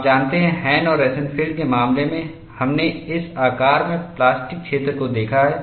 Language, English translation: Hindi, You know, in the case of Hahn and Rosenfield, we have seen the plastic zone in this shape